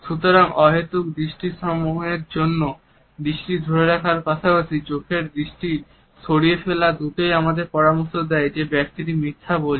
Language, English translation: Bengali, So, holding the gaze for an unnecessarily longer period as well as darting eyes both me suggest that the person is lying